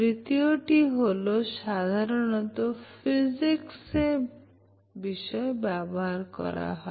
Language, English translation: Bengali, And the third one, the way generally it is used in Physics